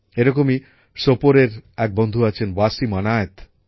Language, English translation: Bengali, Similarly, one such friend is from Sopore… Wasim Anayat